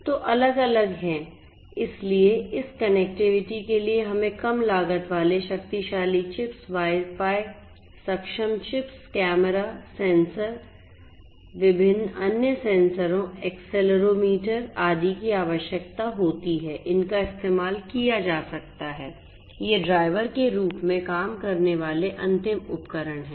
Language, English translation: Hindi, So, there are different so, for this connectivity we need low cost powerful chips, Wi Fi enabled chips, cameras, sensors, different different other sensors, accelerometers, etcetera these could be used these are like you know end devices acting as drivers